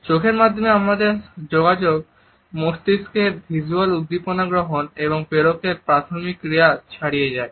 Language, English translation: Bengali, Our communication through eyes goes beyond the primary function of receiving and transmitting visual stimuli to the brain